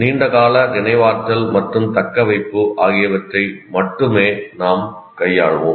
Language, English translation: Tamil, We will only be dealing with formation of long term memory and retention